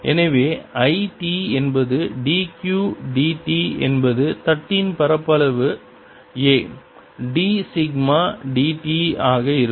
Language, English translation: Tamil, so i t is d q d t is going to be the area of the plate a times d sigma d t